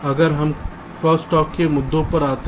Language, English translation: Hindi, ok, next let us come to the issues for crosstalk